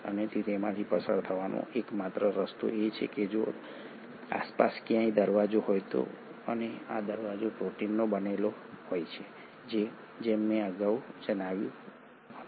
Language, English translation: Gujarati, And the only possible way it will go through is that if there is a gate somewhere around and this gate is made up of proteins as I mentioned earlier